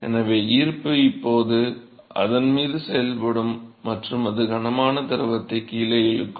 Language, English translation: Tamil, So, gravity will act on it now and it will pull the heavy fluid down